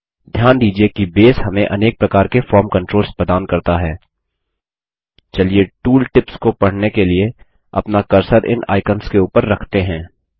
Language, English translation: Hindi, Notice that Base provides us a lot of form controls let us point our cursor over these icons to read the tool tips